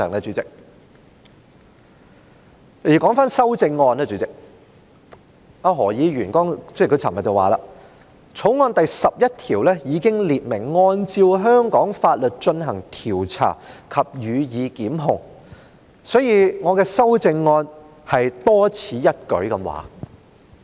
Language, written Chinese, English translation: Cantonese, 主席，說回修正案，何議員昨天說《條例草案》第11條已經列明"按照香港法律進行調查及予以檢控"，所以，我的修正案是多此一舉。, Chairman let me turn back to my amendment . Dr HO said yesterday that since clause 11 of the Bill already provided that the offences are investigated and persons are prosecuted according to the laws of Hong Kong my amendment is therefore superfluous